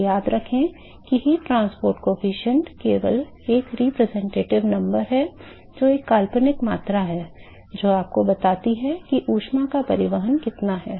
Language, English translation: Hindi, So, remember that heat transport coefficient only the a representative number it is a fictitious quantity, is a representative number its tells you what is a extent of that is heat transported